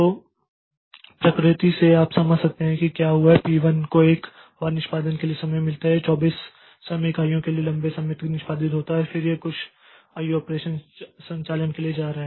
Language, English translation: Hindi, So, so the from the nature you can understand that what has happened is P1 once it gets a time for execution it executes for a long time for 24 time units and then it is going for some I